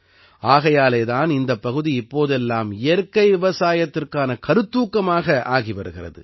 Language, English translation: Tamil, That is why this area, these days, is also becoming an inspiration for natural farming